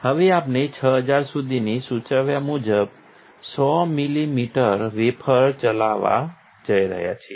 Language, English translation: Gujarati, Now we are going to run a 100 millimeter wafer as suggested up to 6000